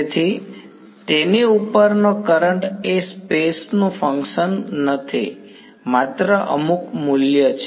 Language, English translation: Gujarati, So, the current over it is not a function of space is just some value